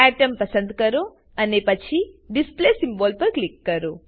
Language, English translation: Gujarati, A Submenu opens Select Atom and then click on Display symbol